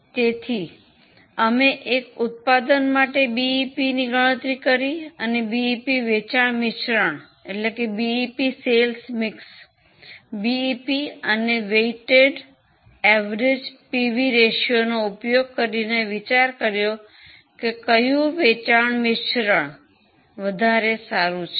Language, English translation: Gujarati, So, computing BEP not just for one product but for a BEP for a sales mix and using BEP and weighted average PV ratio commenting on which sales mix is more suitable